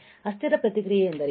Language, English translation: Kannada, What is transient response